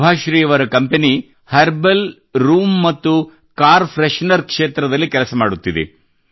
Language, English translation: Kannada, Subhashree ji's company is working in the field of herbal room and car fresheners